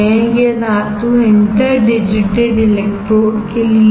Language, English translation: Hindi, This metal is for interdigitated electrodes